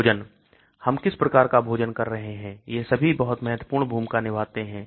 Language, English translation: Hindi, Food what type of food we are eating, all these also play a very important role